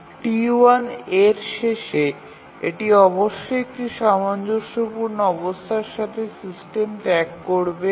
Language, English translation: Bengali, So T1A, at the end of T1A it must leave the system with a consistent state